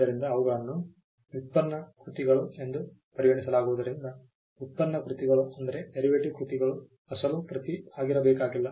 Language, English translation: Kannada, So, because they are regarded as derivative works derivative works do not need to be original